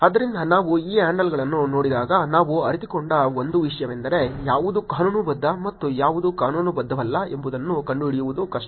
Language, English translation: Kannada, So, one thing when we were looking at these handles we realized is that, hard to find out which is legitimate and which is not legitimate